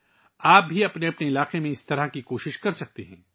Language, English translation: Urdu, You too can make such efforts in your respective areas